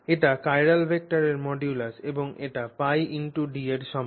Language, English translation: Bengali, So, this is the modulus of the chiral vector and this is equal to pi D